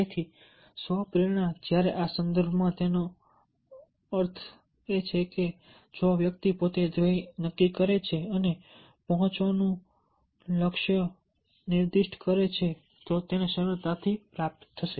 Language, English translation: Gujarati, so self motivation, when, in this context that means if the person himself decides the goal and specify the goal to reach, you will easily achieve it